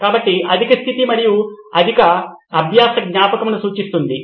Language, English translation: Telugu, So, the high point is high learning retention